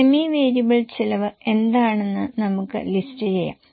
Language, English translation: Malayalam, Then semi variable cost, how much it is